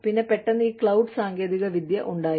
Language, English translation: Malayalam, And then, suddenly, there was the cloud